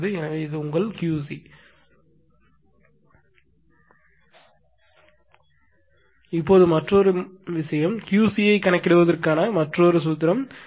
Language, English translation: Tamil, Now, another thing is another formula for computing Q c is equal to P tan theta 1 minus P tan theta 2